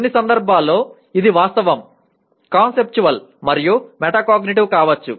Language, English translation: Telugu, Whereas it can be Factual, Conceptual, and Metacognitive in some cases